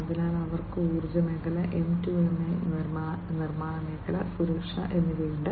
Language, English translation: Malayalam, So, they have the energy sector, M2M, manufacturing sector, and safety